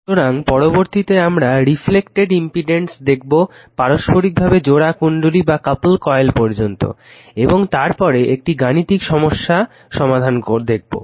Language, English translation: Bengali, So, next will see the reflected impedance right up to mutually your couple coil and after that will see that numericals